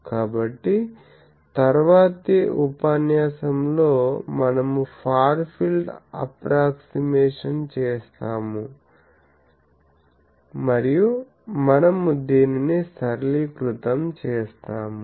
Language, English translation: Telugu, So, in the next class, we will do the Far field approximation and we will simplify this